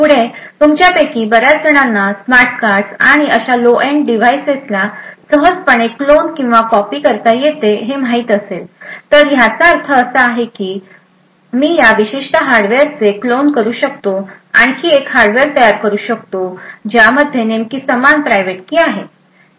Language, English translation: Marathi, Further, as many of you would know smart cards and other such low end devices can be easily cloned or copied, So, this means that I could actually clone this particular hardware, create another hardware which has exactly the same private key